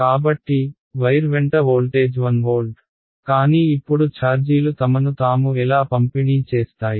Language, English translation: Telugu, So, the voltage along the wire is 1 volt, but now how will the charges distribute themselves